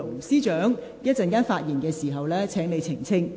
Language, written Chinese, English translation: Cantonese, 司長，請你稍後發言時澄清。, Secretary for Justice please clarify this in your speech later